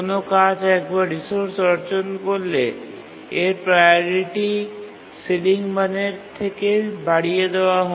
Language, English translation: Bengali, And once a task acquires the resource, its priority is increased to be equal to the ceiling value